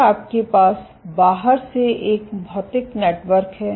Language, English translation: Hindi, So, then you have a physical network from outside